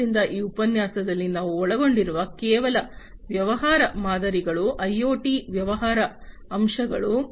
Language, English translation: Kannada, So, far in this lecture, what we have covered are only the business models, the business aspects of IoT